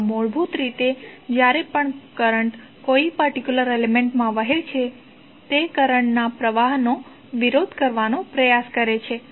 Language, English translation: Gujarati, So, basically whenever the current flows in a particular element it tries to oppose the flow of current